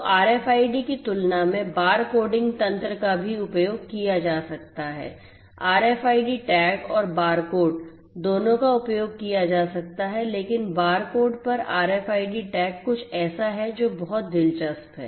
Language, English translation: Hindi, So, compared to RFIDs bar coding mechanisms could also be used both RFID tags and barcodes they could also be used but RFID tags over barcodes is something that is very interesting